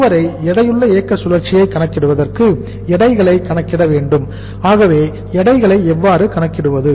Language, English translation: Tamil, So for calculating the weighted operating cycle we will have to calculate the weights so how to calculate the weights